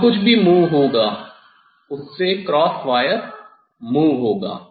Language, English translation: Hindi, here whatever will move, so that cross wire will move